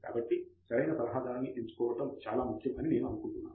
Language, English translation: Telugu, So, I think choosing an advisor is very important